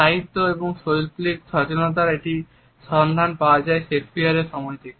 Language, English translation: Bengali, The literary and artistic awareness can be traced as early as Shakespeare